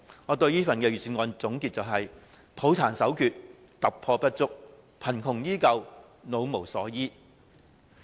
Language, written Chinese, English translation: Cantonese, 我對這份預算案的總結是：抱殘守缺、突破不足、貧窮依舊、老無所依。, My comments on the Budget can be summed up as follows no departure from past ills no breakthrough no poverty alleviation and no help to the elderly